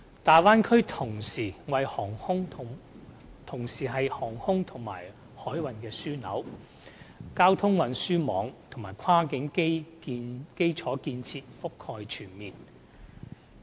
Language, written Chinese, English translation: Cantonese, 大灣區同時是航空和海運的樞紐，交通運輸網絡及跨境基礎建設覆蓋全面。, As an aviation and shipping hub the Bay Area is equipped with well - developed transport networks and cross - boundary infrastructure facilities